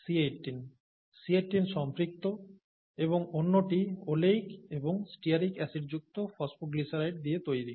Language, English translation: Bengali, C18 saturated; and the other is made up of phosphoglycerides containing oleic and stearic acids